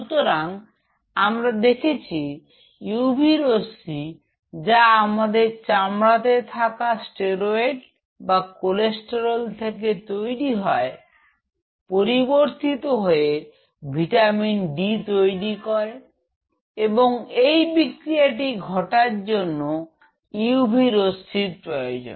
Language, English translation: Bengali, So, what we observe the UV what happened steroids derived from cholesterol which are present in our skin, underneath the skin they get converted into vitamin d and for this reaction to happen you need ultraviolet rays